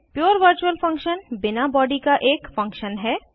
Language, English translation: Hindi, A pure virtual function is a function with no body